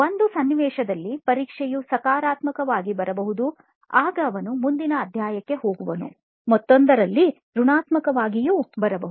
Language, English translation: Kannada, Then if the test comes out positive then it is a situation for him where he can move on to a next chapter or in another situation where the test is negative